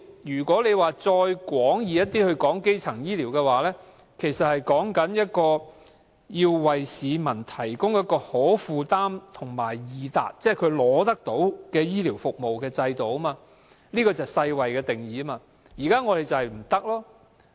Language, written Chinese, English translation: Cantonese, 如果再廣義一點論基層醫療，其實是指為市民提供可負擔和易達，即能輕易取到的醫療服務的制度，這是世界衞生組織的定義。, If we look at primary health care from a broader perspective it actually refers to the provision of accessible and affordable health care to the public or a health care system that is easily accessible . This is the definition adopted by the World Health Organization